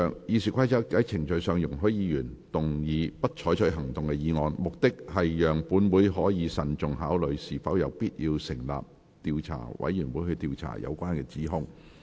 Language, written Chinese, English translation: Cantonese, 《議事規則》在程序上容許議員動議"不採取行動"的議案，目的是讓本會可慎重考慮是否有必要成立調查委員會，以調查有關指控。, The Rules of Procedure provides for the procedure for Members to move a motion of no further action shall be taken on the censure motion with the purpose of allowing the Council to carefully consider if it is necessary to establish an investigation committee to look into the allegations